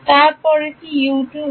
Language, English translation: Bengali, Then the next is U 2